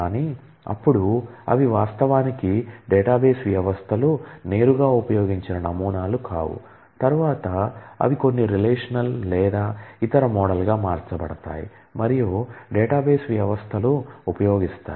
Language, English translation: Telugu, But, then they are not actually models which the database systems directly used they are subsequently converted to some relational or other model and which the database systems will use